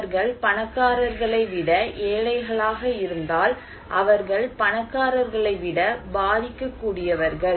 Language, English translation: Tamil, If they are poor than rich, they are more vulnerable than rich